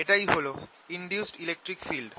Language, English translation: Bengali, this gives rise to an induced field